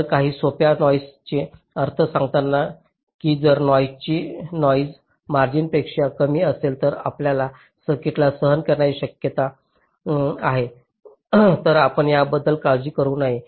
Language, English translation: Marathi, so some simple noise implication says that if the noise is less than the noise margin which your circuit is suppose to tolerate, then you should not worry about it